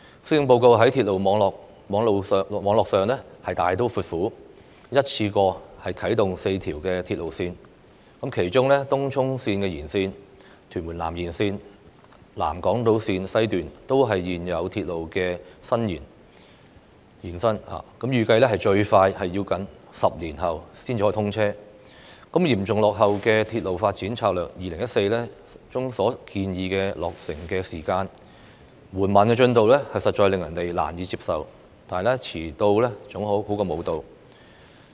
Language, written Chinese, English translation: Cantonese, 施政報告在鐵路網絡上大刀闊斧，一次性啟動4條鐵路線，其中東涌綫延綫、屯門南延綫、南港島綫西段均是現有鐵路線的延伸，預計最快要10年後才通車，嚴重落後於《鐵路發展策略2014》中所建議的落成時間，緩慢的工程進度實在令人難以接受，但遲到總較沒到的好。, The Policy Address takes a bold approach regarding railway network by putting forward four railway lines all at once . Among them Tung Chung Line Extension and Tuen Mun South Extension the South Island Line West are the extensions of the existing railway lines . They are expected to be commissioned 10 years later at the earliest lagging far behind the completion time as suggested in Railway Development Strategy 2014